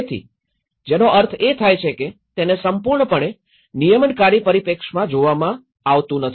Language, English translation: Gujarati, So, which means it is completely not been looked into the regulatory perspective